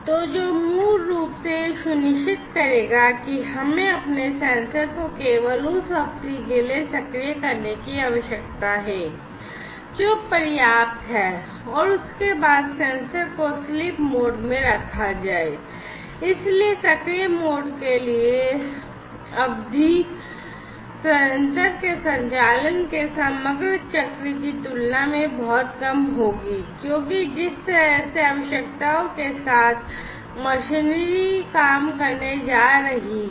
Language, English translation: Hindi, So, which basically will ensure that, we need to make our sensors active for only that duration of time, which is sufficient and thereafter put the sensor in the sleep mode; so the duration for the active mode will have to be much less compared to the overall cycle of the operation of the sensor, because of the requirements with the way, the machineries are going to work etcetera